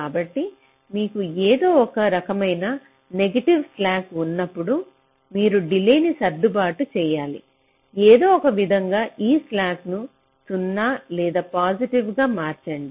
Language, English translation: Telugu, so whenever you have some kind of negative slacks somewhere, you have to adjust the delays somehow to make this slack either zero or positive